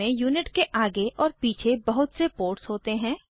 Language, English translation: Hindi, It has many ports in the front and at the back of the unit